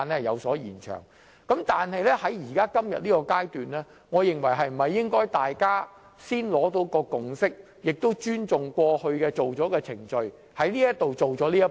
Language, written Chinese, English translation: Cantonese, 然而，今天在這個階段，我認為大家應先取得共識及尊重過往的既定程序，先完成這一步。, Nevertheless at this stage today I think Members should complete this step first forging a consensus and respecting the established procedures as usual